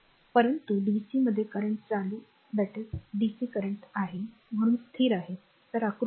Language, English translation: Marathi, So, but dc it has current is constant so, figure 1